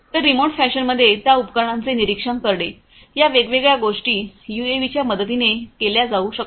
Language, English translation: Marathi, So, monitoring those equipments you know in a remote fashion can be done with the help of these different UAVs